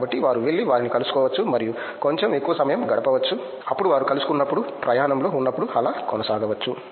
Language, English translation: Telugu, So, that they can go and meet them and get little more much time then what they get when they meet, on the go